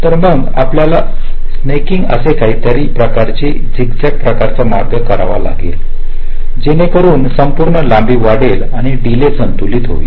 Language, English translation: Marathi, so then we may have to do something called snaking, some kind of zig zag kind of a path we may take so that the total length increases and the delay gets balanced